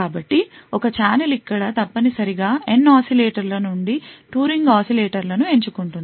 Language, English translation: Telugu, So a challenge over here would essentially pick choose 2 ring oscillators out of the N oscillators